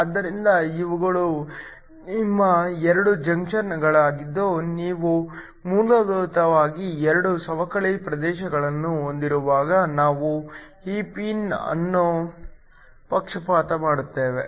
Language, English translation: Kannada, So, these are your 2 junctions when you essentially have 2 depletion regions we then bias this pin